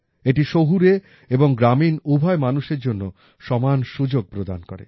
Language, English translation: Bengali, This provides equal opportunities to both urban and rural people